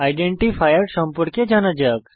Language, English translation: Bengali, Let us know about identifiers